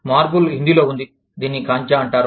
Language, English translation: Telugu, Marble is in Hindi, is called Kanchaa